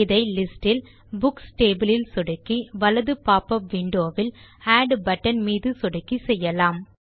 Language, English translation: Tamil, We will do this by clicking on the Books table in the list and then clicking on the Add button on the right in the popup window